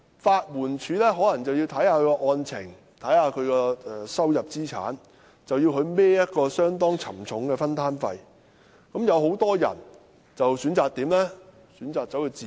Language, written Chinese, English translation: Cantonese, 法援署可視乎案情和申請人的收入、資產，要求申請人負擔相當沉重的分擔費，而很多人便因而選擇自辯。, LAD may require applicants to pay a contribution according to the case and the income and assets of the applicant . The applicant may have to bear a heavy contribution and many people have thus chosen to raise defence on their own in court